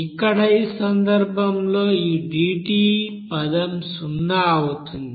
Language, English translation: Telugu, So here in this case this dT terms will be zero